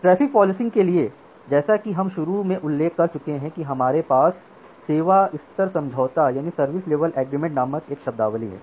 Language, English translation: Hindi, So, for traffic policing as we are mentioning initially that we have a terminology called service level agreement